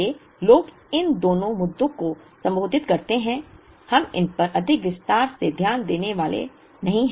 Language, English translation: Hindi, So, people address both these issues we are not going to dwell into much more detail on these